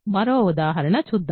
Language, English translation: Telugu, Let us look at another example